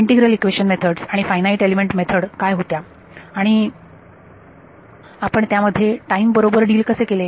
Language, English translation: Marathi, In integral equation methods and finite element methods what was how did we deal with time